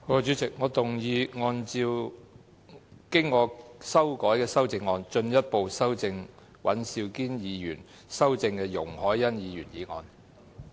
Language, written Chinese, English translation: Cantonese, 主席，我動議按照我經修改的修正案，進一步修正經尹兆堅議員修正的容海恩議員議案。, President I move that Ms YUNG Hoi - yans motion as amended by Mr Andrew WAN be further amended by my revised amendment